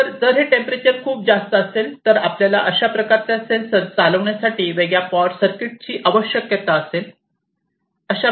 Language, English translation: Marathi, So, if this temperature is too high you need a separate power circuit to drive those kind of sensor so those are the issues